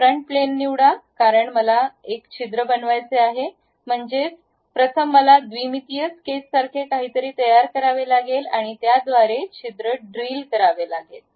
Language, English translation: Marathi, Pick the front plane because I would like to make a hole; that means, first I have to make something like a 2 dimensional sketch after that drill a hole through that